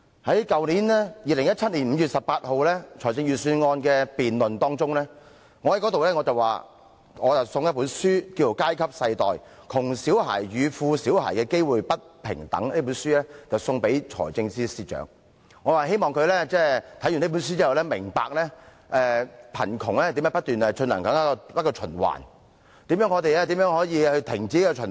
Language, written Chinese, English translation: Cantonese, 在去年2017年5月18日的財政預算案辯論期間，我提到想把一本題為《階級世代：窮小孩與富小孩的機會不平等》的書送給財政司司長，希望他看畢這本書後，會明白到貧窮是如何不斷循環，以及我們如何可以制止這循環。, During the Budget debate on 18 May 2017 last year I mentioned that I wished to give the Financial Secretary a book entitled Our kids The American Dream in Crisis . I hoped that after reading this book he would understand how poverty kept recurring in a cycle and how we could arrest this cycle